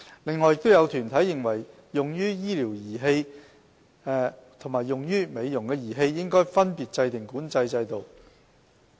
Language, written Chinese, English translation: Cantonese, 此外，亦有團體認為用於醫療的儀器和用於美容的儀器應分別制訂管制制度。, Besides some organizations consider that separate regulatory regimes should be put in place respectively for devices used for medical purposes and those used for cosmetic purposes